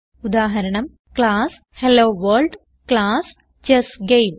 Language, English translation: Malayalam, * Example: class HelloWorld, class ChessGame